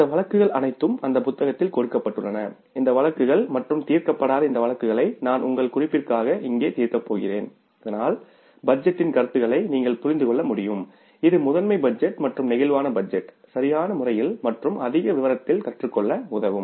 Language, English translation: Tamil, All these cases are given in that book and I am referring from that book these unsolved cases I am say going to solve here for your reference so that you can understand the concepts of budgeting that is the master budget and the flexible budget in the proper manner and in the greater detail